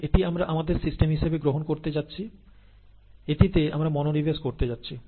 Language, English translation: Bengali, This is what we are going to take as our system, this is what we are going to concentrate on, this is what we are going to focus our attention on